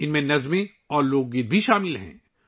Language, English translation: Urdu, These also include poems and folk songs